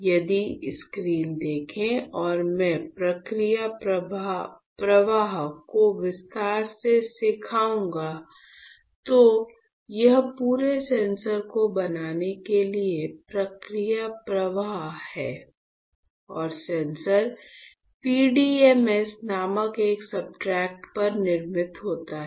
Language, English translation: Hindi, So, if you see the screen and I will teach you the process flow in detail, this is the process flow for fabricating the entire sensor right and the sensor is fabricated on a substrate called PDMS right P D M S all right